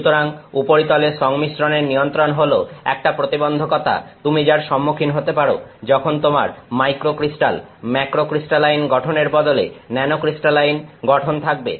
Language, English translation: Bengali, So, control of surface composition is a challenge which you face when you have nanocrystalline structure, as supposed to when you have microcrystal in the macrocrystalline structure